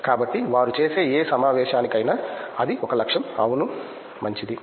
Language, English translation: Telugu, So, that is one of the aim for any conference they do, yeah good